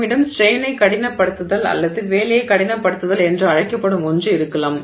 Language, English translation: Tamil, We could also have something called strain hardening or work hardening